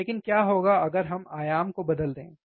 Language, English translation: Hindi, But what happens if we change the amplitude, right